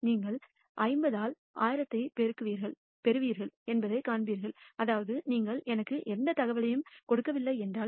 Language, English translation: Tamil, You will find that you get 50 by 1,000 which is that if you do not give me any information about